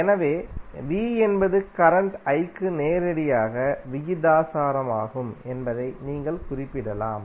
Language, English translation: Tamil, So, you can simply represent that V is directly proportional to current I